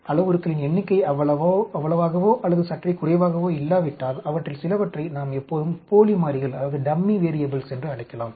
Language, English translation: Tamil, If the number of parameters is not that or slightly less, we can always call some of them as dummy variables